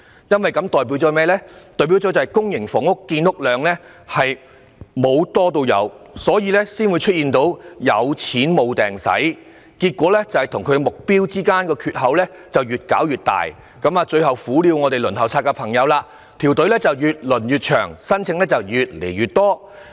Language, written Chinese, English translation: Cantonese, 因為這代表公營房屋的建屋量沒有增加，才會出現有錢無處花的情況，令供應量與目標的缺口越來越大，最後只會苦了輪候公屋的朋友，因為輪候隊伍只會越來越長，申請人數越來越多。, This indicates that the number of public housing units has not increased hence no money has been spent and the shortfall between the supply and the target has widened . Eventually those waiting for public housing will suffer because the waiting time will become longer with an increasing number of applicants